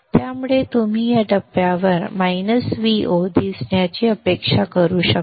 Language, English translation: Marathi, So you can expect to see a minus V0 at this point